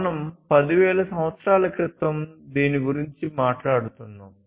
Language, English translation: Telugu, And this we are talking about more than 10,000 years back